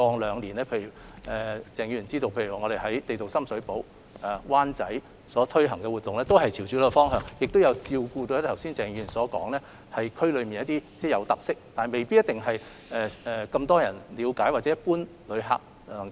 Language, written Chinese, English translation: Cantonese, 也許鄭議員也知道，我們過往兩年在深水埗、灣仔推行的旅遊相關活動均朝着這個方向走，也有照顧到剛才鄭議員所提到，區內雖有固有的特色，但未必為大眾所了解或一般旅客所發現的情況。, For example some places about local folklores located in big avenues or small alleys in town or featured with local characteristics will become tourist attractions . Perhaps Mr CHENG also knows that relevant events we have introduced in Sham Shui Po and Wan Chai over the past two years are all heading towards this direction . They have taken into account certain local characteristics and features of the districts which may have been overlooked by the general public or common visitors